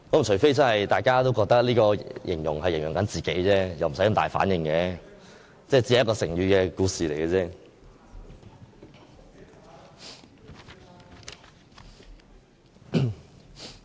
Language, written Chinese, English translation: Cantonese, 除非大家都覺得這形容詞是在形容自己，否則無需有這麼大的反應，這只是成語故事。, Unless all of them believed that the remark were directed at them they did not have to react so vehemently . This is merely a story about a proverb